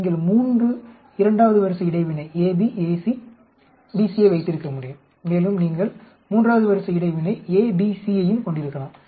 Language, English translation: Tamil, Then you can have 3 second order interaction ab, ac, ac and you can also have a third order interaction a, b, c